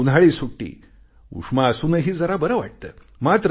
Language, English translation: Marathi, Summer vacations feel good inspite of scorching heat